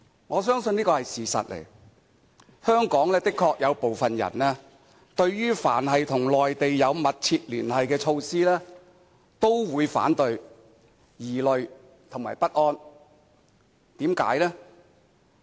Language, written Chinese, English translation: Cantonese, 我相信這個是事實，香港的確有部分人對於凡是與內地有密切聯繫的措施，都會反對，並感到疑慮及不安。, These two words finally answered my confusion of their rejection . It is true that a fraction of people in Hong Kong feeling hesitant and uneasy do reject any measures which will result in closer relations with Mainland